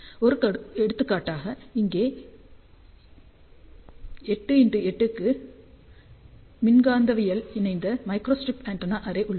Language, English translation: Tamil, So, here is an example of 8 by 8 electromagnetically coupled microstrip antenna array